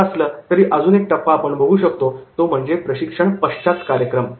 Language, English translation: Marathi, However, one more stage we can take and that is the post training program